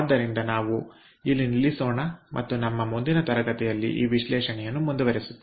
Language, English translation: Kannada, so let us stop over here and ah ah, we will continue with this analysis in our next class